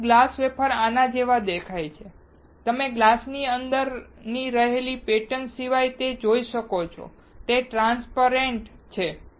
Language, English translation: Gujarati, But the glass wafer looks like this, you can see through, except the pattern that is there within the glass, it is a transparent